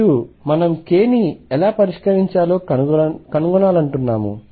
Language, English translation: Telugu, And also we want to find how to fix k